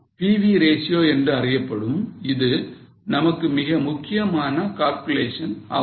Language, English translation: Tamil, So, this is a very important calculation for us known as PV ratio